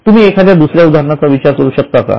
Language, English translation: Marathi, Can you think of any example